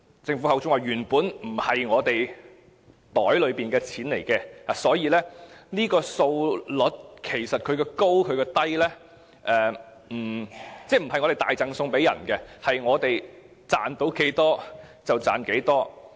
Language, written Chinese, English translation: Cantonese, 政府說，這些原本不是我們口袋裏的錢，所以這個稅率的高低，並不是我們大贈送，而是賺到多少，便是多少。, According to the Government the revenue so generated is originally not in our pockets so whatever the tax rate is it should not be regarded as the offering of a big gift . Rather it is an additional revenue income we earn as much as we can